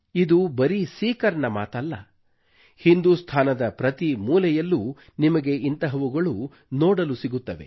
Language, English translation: Kannada, And this is not only about Sikar, but in every corner of India, you will witness something akin to this